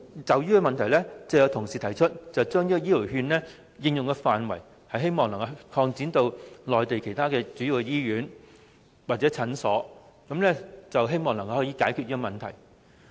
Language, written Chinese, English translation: Cantonese, 就此，有同事提出將醫療券的應用範圍，擴展至內地主要醫院或診所，希望能夠解決這個問題。, In this connection a colleague proposes to extend the application of health care vouchers to cover major hospitals or clinics on the Mainland with a view to resolving this problem